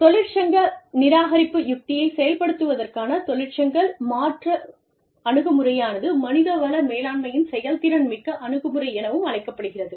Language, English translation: Tamil, Union substitution approach to union avoidance strategy, is also known as, the proactive human resource management approach